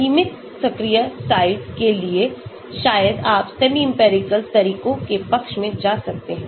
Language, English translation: Hindi, so for limited active site maybe you can go into this side of semi empirical methods